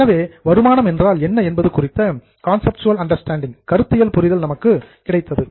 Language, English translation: Tamil, So, here just a conceptual understanding as to what is an income